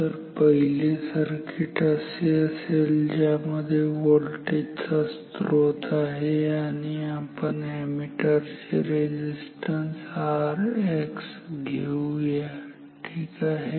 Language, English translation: Marathi, So, 1 circuit is like this voltage source then let us take a voltmeter sorry ammeter resistance R X